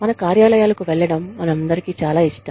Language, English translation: Telugu, We all love, going to our offices